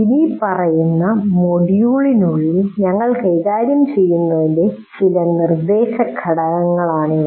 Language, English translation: Malayalam, These are some of the instructional components which we will deal with in the following module